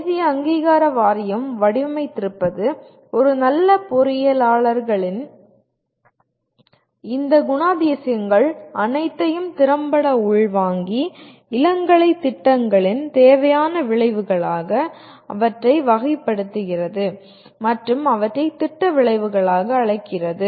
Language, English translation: Tamil, What National Board of Accreditation has designed, has affectively absorbs all these characteristics of a good engineers and characterizes them as required outcomes of an undergraduate programs and calls them as program outcomes